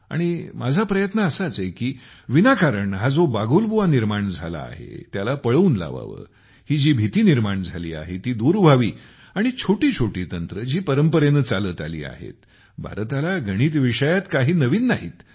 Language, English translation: Marathi, And so, my effort is that this fear which is without any reason should be removed, this fear should be removed withbasic techniques of mathematics which come from our traditions and which are not new to India